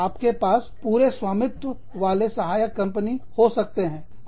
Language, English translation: Hindi, You could have, wholly owned subsidiaries